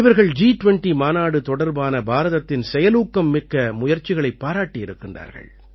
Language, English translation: Tamil, They have highly appreciated India's proactive efforts regarding G20